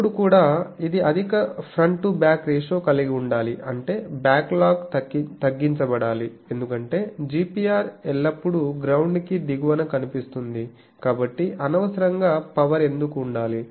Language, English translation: Telugu, Then also it should have high front to back ratio that means backlog should be reduced, because GPR always see below the ground so, why unnecessarily power should be there in the thing